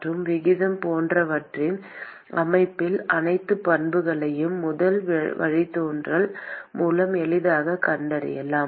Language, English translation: Tamil, And all the properties in terms of rate etc can be simply found by taking the first derivative